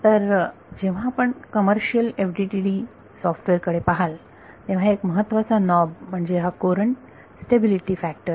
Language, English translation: Marathi, So, when you look at commercial FDTD software, one of the most important knobs is this courant stability factor